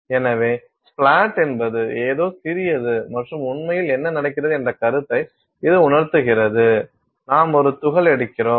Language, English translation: Tamil, So, as splat is, I mean it just conveys the idea that something splattered and that is really what is happening; you are taking a particle, you are taking a particle